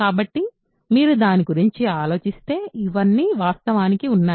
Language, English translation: Telugu, So, if you think about it all of these are actually